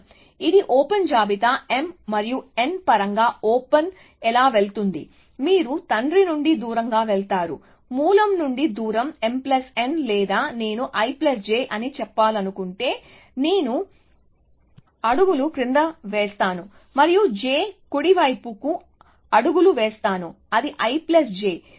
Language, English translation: Telugu, So, this is the open list, how the open going in terms of m and n, the father you go away from the… So, the distance from the source is m plus n or i plus j if you want to say, if you have a gone i steps down and j steps to the right, it is a i plus j